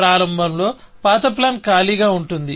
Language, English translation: Telugu, Initially, of course, old plan will be empty